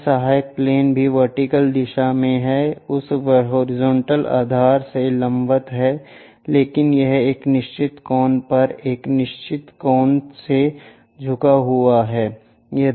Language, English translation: Hindi, This auxiliary plane also in the vertical direction, vertical to that horizontal base however, it is an inclined to vertical plane by certain angle some theta